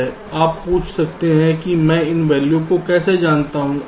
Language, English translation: Hindi, well, you can ask that: how do i know these values